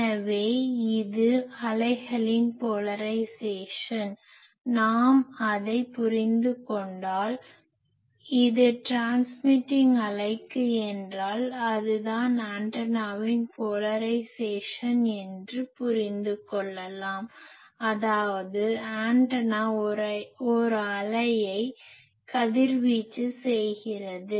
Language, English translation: Tamil, So, this is the polarisation of the wave; if we understand that then we can understand that if for a transmitting wave it will be the antennas polarisation; that means, the antenna is radiating a wave